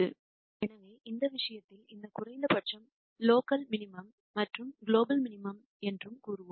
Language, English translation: Tamil, So, in this case we would say that this minimum is both a local minimum and also a global minimum